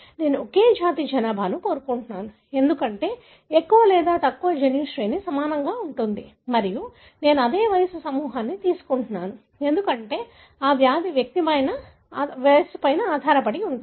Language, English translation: Telugu, I am taking the same ethnic population, because more or less the genome sequence would be similar and then I am taking same age group, because that disease could be age dependent